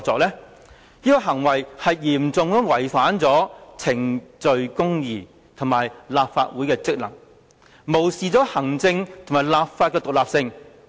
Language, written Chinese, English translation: Cantonese, 這種行為嚴重違反程序公義及破壞立法會的職能，無視行政及立法的獨立性。, What he did has seriously breached procedural justice undermined the functions of the Legislative Council and disregarded the independence of the executive and the legislature